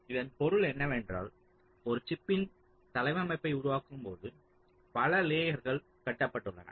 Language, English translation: Tamil, see what this means is that when i create the layout of a chip, there are several layers which are constructed first